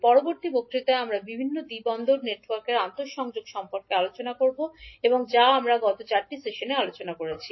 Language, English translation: Bengali, In next lecture we will discuss about the interconnection of various two port networks which we have discussed in last 4 sessions, thank you